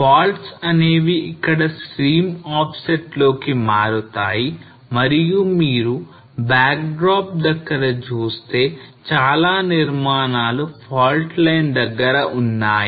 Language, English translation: Telugu, Faults turns here stream offset and you can see at the backdrop a lot of construction which is close to the fault line